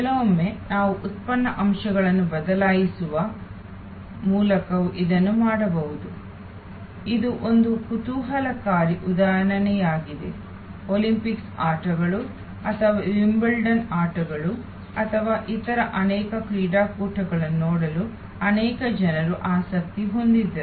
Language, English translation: Kannada, Sometimes we can also do it by changing the product elements, this is a interesting example at one time there were many people interested to see the Olympics games or Wimbledon games or many other sports events